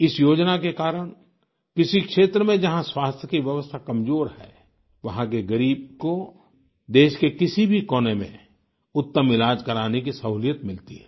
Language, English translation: Hindi, Due to this scheme, the underprivileged in any area where the system of health is weak are able to seek the best medical treatment in any corner of the country